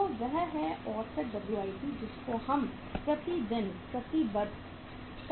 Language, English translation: Hindi, So that is the WIP average WIP committed per day